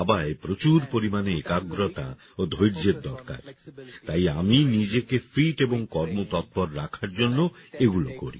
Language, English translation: Bengali, Now Chess requires a lot of focus and patience, so I do the following which keeps me fit and agile